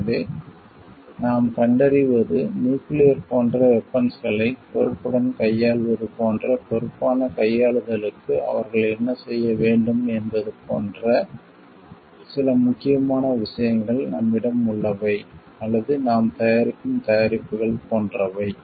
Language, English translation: Tamil, So, what we find is like some important points like what they need to do is to hand, for responsible handling of like responsible handling of nuclear like weapons, that we have or the products that we are making any clearly equipments etcetera